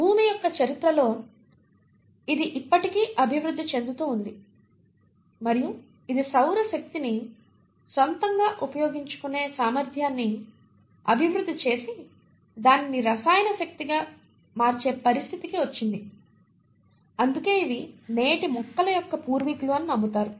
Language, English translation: Telugu, It has still evolved during the course of EarthÕs history and it has come to a situation where it has developed a capacity to on its own utilise solar energy and convert that into chemical energy, and hence are believed to be the ancestors of present day plants